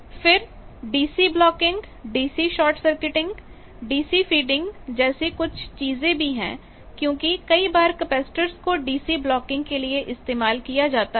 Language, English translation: Hindi, Then DC blocking, DC short circuiting, DC feeding these are also other things because capacitors sometimes are used for DC blocking etcetera